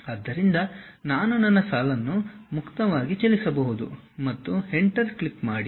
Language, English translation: Kannada, So, I can just freely move my line and click that Enter